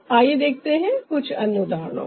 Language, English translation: Hindi, in that context let's see some more examples